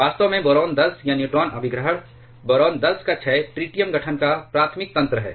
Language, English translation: Hindi, In fact, the decay of boron 10 or neutron capture by boron 10 is the primary mechanism of tritium formation